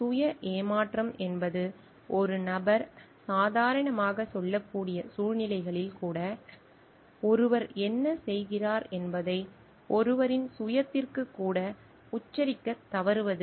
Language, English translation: Tamil, Self deception is a failure to spell out even to one's own self what one is doing even in circumstances which one can normally tell